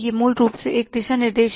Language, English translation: Hindi, It is basically a roadmap